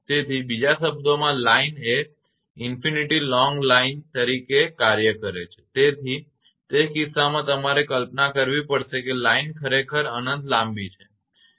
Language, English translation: Gujarati, So, in other words the line act as it is infinitely long line right, so in that case you have to imagine the line is actually infinitely long